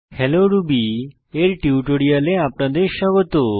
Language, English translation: Bengali, Welcome to the Spoken Tutorial on Hello Ruby